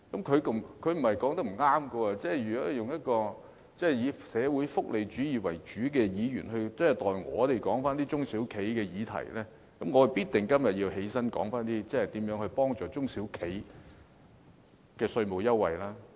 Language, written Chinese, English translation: Cantonese, 他所說的並非不正確，如果主要關心社會福利主義的議員都代我們討論中小企的議題，那麼我今天必定要站起來說說如何幫助中小企取得稅務優惠。, His remarks are not incorrect and when a Member whose main concern is social welfarism also talks about issues concerning SMEs I have to stand up today and speak about ways to assist SMEs in obtaining tax concessions